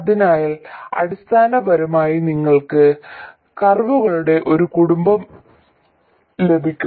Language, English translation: Malayalam, So basically you got a family of curves